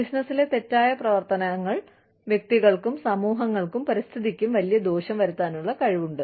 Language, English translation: Malayalam, Malpractices in business have the potential, to inflict enormous harm on, individuals, communities, and the environment